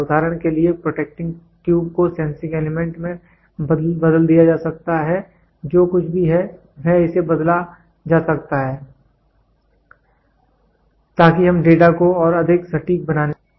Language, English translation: Hindi, For example, the protecting tube can be changed the sensing element whatever it is there this can be changed, so that we try to get the data more accurate